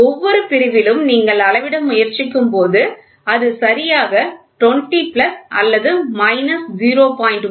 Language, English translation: Tamil, At every section when you try to measure it will be exactly 20 plus or minus 0